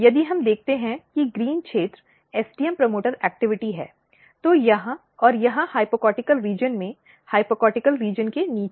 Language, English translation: Hindi, If we look the green region is STM promoter active, either here or here in the hypocotyl region below the hypocotyl region